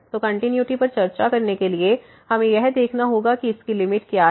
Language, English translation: Hindi, So, to discuss the continuity, we have to see what is the limit of this